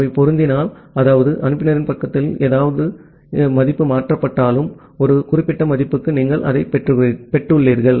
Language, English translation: Tamil, If they are getting matched, that means, whatever value has been transferred from the sender side, you have received that for a particular value